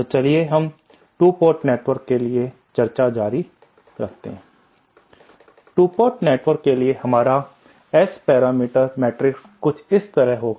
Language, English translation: Hindi, So let us continue the discussion for 2 port network soÉ For a 2 port network our S parameter matrix will be something like this